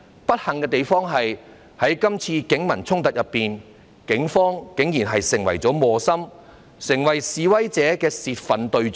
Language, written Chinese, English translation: Cantonese, 不幸的是，在這次警民衝突中，警方竟然成為磨心，成為示威者的泄憤對象。, Unfortunately in this clash between the Police and members of the public the Police have been caught in the middle and become a target of protesters in venting their spleen